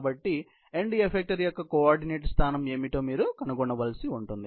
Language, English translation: Telugu, So, you will have to find out what is the end effector’s position coordinate